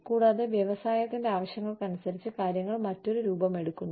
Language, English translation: Malayalam, And, depending on the needs of the industry, things sort of, take on a different shape